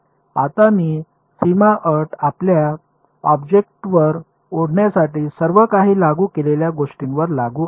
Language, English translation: Marathi, Now this boundary condition applies to what all does it apply to let us draw our object over here ok